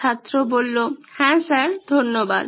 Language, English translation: Bengali, Yeah sir, thank you